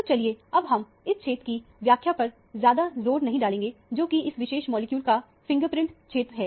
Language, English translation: Hindi, So, let us not over emphasize the interpretation of this region, which is anyway a fingerprint region of that particular molecule